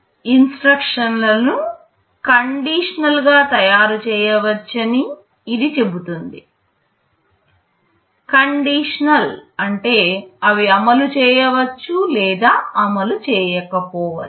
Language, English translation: Telugu, This says that the instructions can be made conditional; conditional means they may either execute or they may not execute